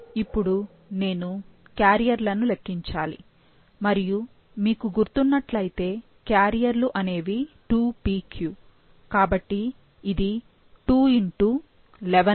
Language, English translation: Telugu, Now, I need to calculate carriers and if you remember, the carriers would be 2pq